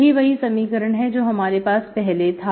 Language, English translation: Hindi, So that gives you original equation